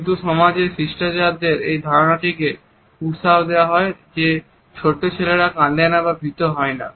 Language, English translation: Bengali, Some societies encourage the idea that young boys or little manners they are called do not cry or look afraid